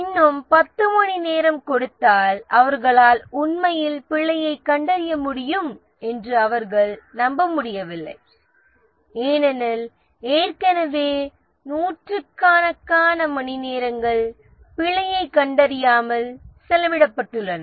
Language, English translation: Tamil, They don't believe that if they put another 10 hours they would really be able to detect the bug because already hundreds of hours have been spent without detecting the bug